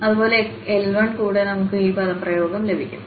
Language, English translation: Malayalam, And similarly, with L 1 we will get this expression